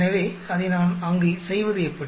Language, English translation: Tamil, So, how do I go about doing it there